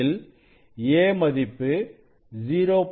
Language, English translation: Tamil, 2 this a is 0